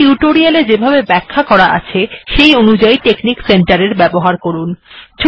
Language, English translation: Bengali, Then, proceed with the use of Texnic center as explained in this tutorial